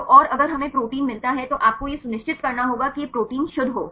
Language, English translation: Hindi, So, and if we get the protein then you have to ensure that this protein is pure